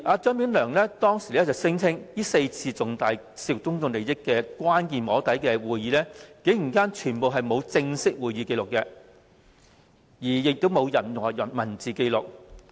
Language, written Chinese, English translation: Cantonese, 張炳良當時聲稱，這4次涉及重大公眾利益的關鍵"摸底"會議，全部沒有正式會議紀錄，亦沒有任何文字紀錄。, Anthony CHEUNG claimed at that time that there were no formal minutes of meeting or any written record of these four important soft lobbying sessions which involved significant public interest